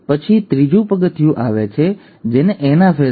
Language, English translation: Gujarati, Then comes the third step which is the anaphase